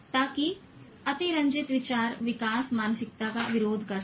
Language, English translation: Hindi, So that exaggerated thought is opposed to growth mindset